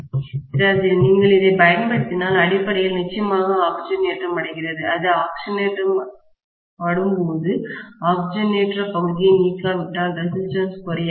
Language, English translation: Tamil, If you use it, see, basically gets oxidised definitely and when it gets oxidised, unless you remove the Oxidation portion, the resistance will not decreased